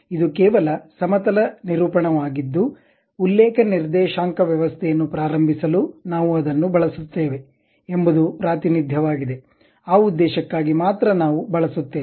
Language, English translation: Kannada, It is just a plane representation whether we would like to begin it to give a reference coordinate system, for that purpose only we use